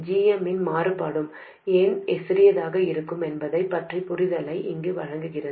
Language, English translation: Tamil, That gives you an understanding of why the variation of GM will be smaller